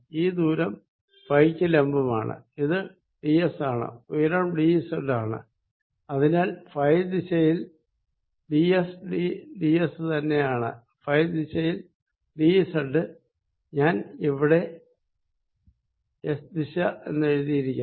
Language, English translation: Malayalam, this distance perpendicular to phi is going to be d s and the height is d z and therefore in the direction phi d s is going to be d s, d z in the direction phi